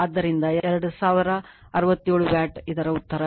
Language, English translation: Kannada, So, 2000 your 67 Watt this is the answer right